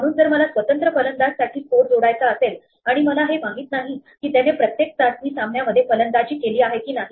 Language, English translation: Marathi, So, if I want to add up the score for individual batsmen, but I do not know, if they have batted in each test match